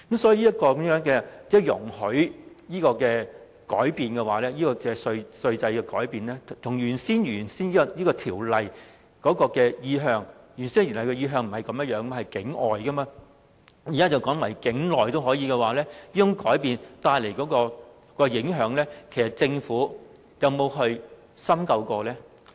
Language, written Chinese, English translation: Cantonese, 所以，政府容許的稅制改變與《條例草案》的原意不同，其原意是向境外的營運機構提供稅務優惠，現在則改為境內的營運機構也可同樣受惠，這改變所帶來的影響，其實政府有否深究呢？, Hence the change in the tax regime rendered by the Government is inconsistent with the intent of the Bill . The Bill seeks to provide tax concessions to offshore aircraft operators but now the concessions are extended to onshore aircraft operators . Has the Government actually taken an in - depth look into the potential impacts of this change?